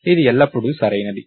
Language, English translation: Telugu, So, that its always correct